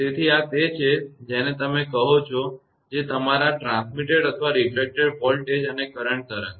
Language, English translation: Gujarati, Therefore, this is your what you call that your transmitted or refracted voltage and current wave